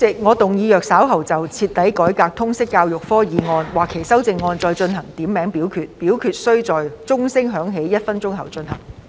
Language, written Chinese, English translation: Cantonese, 主席，我動議若稍後就"徹底改革通識教育科"所提出的議案或其修正案進行點名表決，表決須在鐘聲響起1分鐘後進行。, President I move that in the event of further divisions being claimed in respect of the motion on Thoroughly reforming the subject of Liberal Studies or any amendments thereto this Council do proceed to each of such divisions immediately after the division bell has been rung for one minute